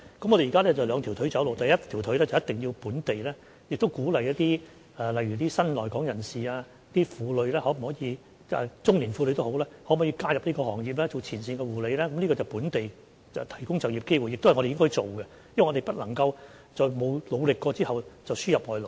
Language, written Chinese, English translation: Cantonese, 我們現在是兩條腿走路，第一條腿是一定要鼓勵新來港人士、婦女或中年婦女，加入這個行業當前線護理人員，這是在本地提供就業機會，亦都是我們應該做的，因為我們不能夠在沒有努力過之下輸入外勞。, We are now adopting a two - pronged approach . On one hand we have to encourage new arrivals women or middle - aged women to join this sector as frontline care staff . This is local provision of employment opportunities and is what we should do as we cannot simply import foreign labour without spending our efforts to resolve the problem locally